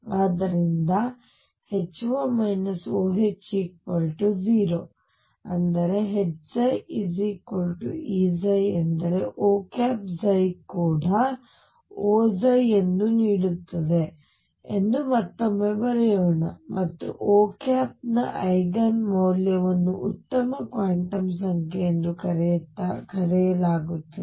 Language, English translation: Kannada, So, let us write it again that H O minus O H is equal to 0 implies that H psi equals E psi then gives psi such that O psi is also sum O psi, and the Eigen value of O is known as a good quantum number